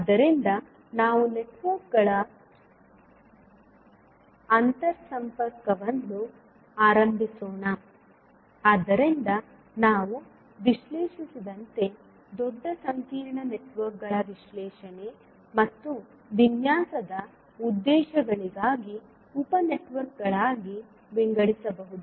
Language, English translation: Kannada, So, let us start the interconnection of the networks, so as we discussed that the large complex network can be divided into sub networks for the purposes of analysis and design